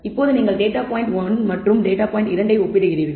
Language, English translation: Tamil, Now, you compare data point 1 and data point 2